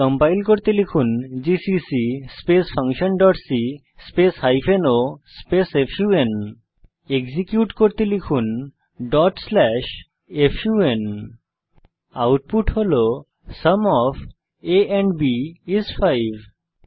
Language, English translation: Bengali, To compile, type gcc function dot c hyphen o fun To execute, type ./fun We see the output is displayed as Sum of a and b is 5 Now come back to our program